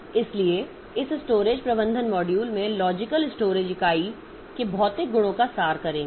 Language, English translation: Hindi, So, this storage management modules they will abstract physical properties of logical storage unit